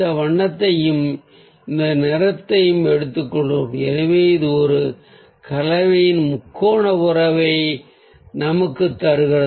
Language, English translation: Tamil, so we take this colour, this colour and this colour like this, this and this, so it gives us a triad relationship of a combination